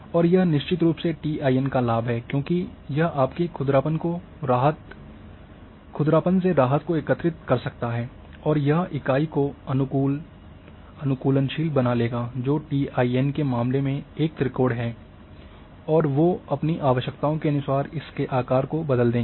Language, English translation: Hindi, And this a definitely TIN is having advantage because it can accumulate your relief roughness and it will adoptable the unit which are triangles in case of TIN they will change the size and shape according to their requirements